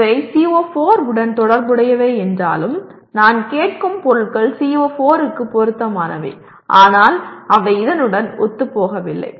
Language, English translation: Tamil, While these are related to CO4 that means the items that I am asking are relevant to CO4 but they are not in alignment with this